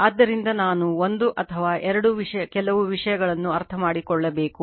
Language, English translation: Kannada, So, I just we have to understand one or two few things right